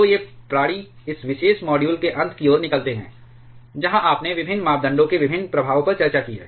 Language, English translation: Hindi, So, these beings out towards the end of this particular module where you have discussed different effects of different parameters on reactivity